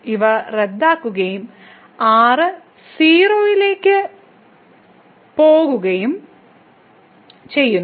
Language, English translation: Malayalam, So, these cancel out and goes to 0